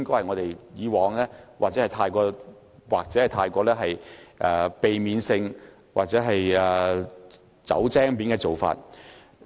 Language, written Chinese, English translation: Cantonese, 我希望未來我們可以避免這種"走精面"的做法。, I hope that we can avoid adopting the practice of playing smart in the future